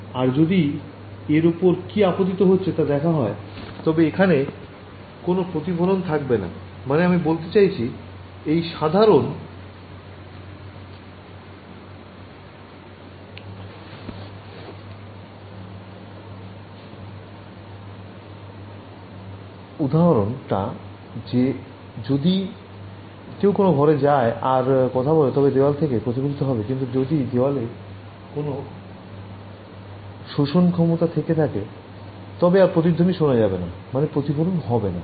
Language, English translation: Bengali, If I can somehow observe what falls on it there will be no reflection right I mean this simple example if you go to a room and you speak the walls reflect, but if the walls had some absorbing material you will not be able to hear your echo that means there is no reflection